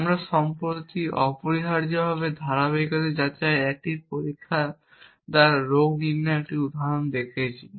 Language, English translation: Bengali, We saw recently an example of doing diagnosis by a process of consistency checking essentially